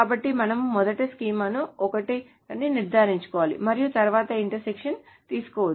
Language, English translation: Telugu, So we must first ensure that the schema is the same and then the intersection can be taken